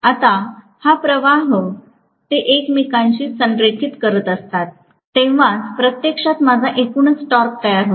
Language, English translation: Marathi, Now, this flux, when they are aligning with each other that is what actually creates my overall torque